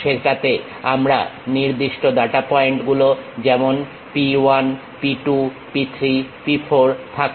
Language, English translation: Bengali, In that, we have particular data points like P 1, P 2, P 3, P 4